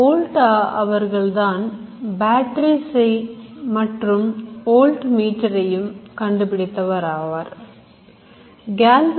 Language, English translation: Tamil, Volta is the man who created batteries, voltmeter